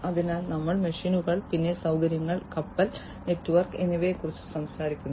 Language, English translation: Malayalam, So, we are talking about machines, then facilities, fleet and network